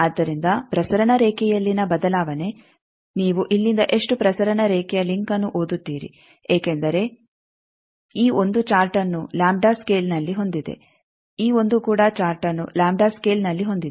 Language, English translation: Kannada, So, the change in the transmission line, how much transmission line link that you will read from here because this 1 has a chart here in the lambda scale, this 1 also has a chart in the lambda scale